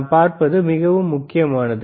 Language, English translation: Tamil, What we see is extremely important, all right